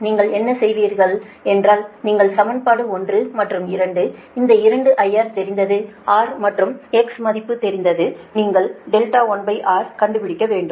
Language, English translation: Tamil, what you will do is that you from equation one and two, and these two are known, i r is also known, r and x value is also known